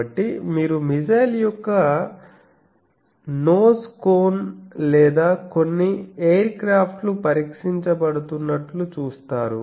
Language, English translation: Telugu, So, you see some nose cone of a missile or some aircraft that is getting tested